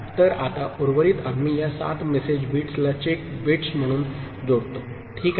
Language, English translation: Marathi, So, that remainder now we attach as check bits to this 7 message bits, ok